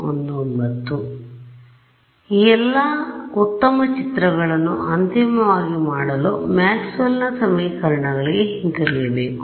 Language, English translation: Kannada, So, all the good nice pictures are done finally, you have to come back to Maxwell’s equations right